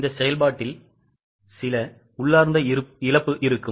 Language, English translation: Tamil, There will be some inherent loss in the process